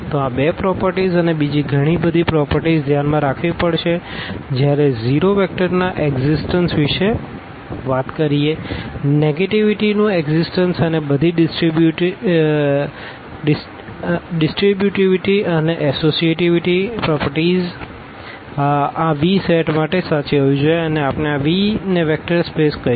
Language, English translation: Gujarati, So, with these two properties and there are other properties as well which we have to keep in mind like the existence of the zero vector, existence of this negativity and all other these distributivity property associativity property etcetera must hold for this set V then we call this set V as a vector space